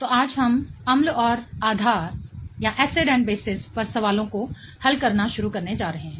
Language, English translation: Hindi, Hello, so, today we are going to start solving the questions on acids and bases